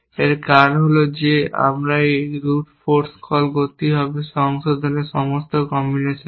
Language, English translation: Bengali, The reason for that is that, why should we do this route force call to all combinations of revise